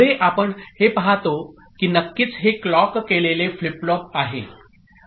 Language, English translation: Marathi, Further, here we see that of course this is a clock flip flop, right